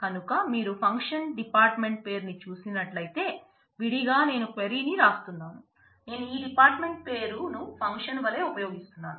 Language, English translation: Telugu, So, if you look at the function is department name, then separately I am writing a query, I am using this department name as function